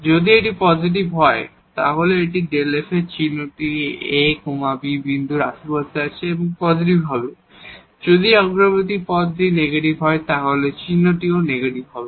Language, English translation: Bengali, If it is positive then the sign of this delta have in the neighborhood of this ab point will be positive, if this leading term is negative then the sign will be negative